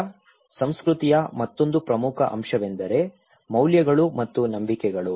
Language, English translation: Kannada, Now, another important component of culture is the values and beliefs okay